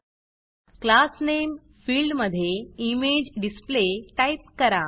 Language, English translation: Marathi, In the Class Name field, type ImageDisplay